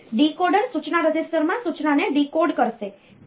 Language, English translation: Gujarati, And the decoder will decode the instruction in the instruction register